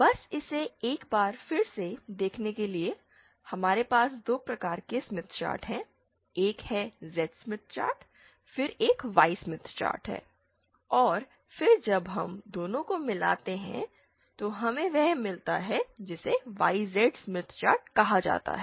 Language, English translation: Hindi, Just to review it once again, we have 2 types of Smith chart, one is the Z Smith chart, then there is a Y Smith chart and then when we combine both, we get what is called as ZY Smith chart